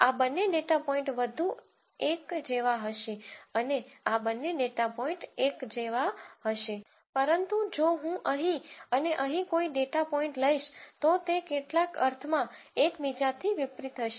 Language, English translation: Gujarati, These two data points will be more like and these two data points will be more like each other, but if I take a data point here and here they will be in some sense unlike each other